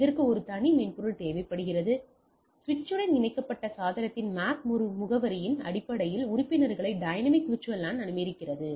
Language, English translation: Tamil, It requires a separate software, dynamic VLAN allows membership based on MAC address of the device connected to the switch